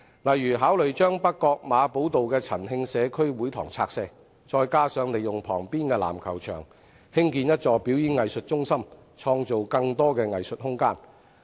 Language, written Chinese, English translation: Cantonese, 例如考慮把北角馬寶道的陳慶社區會堂拆卸，再加上利用旁邊的籃球場，興建一座表演藝術中心，創造更多藝術空間。, For instance they can consider demolishing Chan Hing Community Hall at Marble Road North Point and joining this site with the adjacent basketball court for the construction of a performing arts centre with a view to creating more room for arts